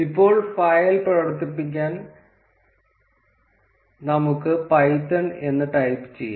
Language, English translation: Malayalam, Now, to run the file let us type python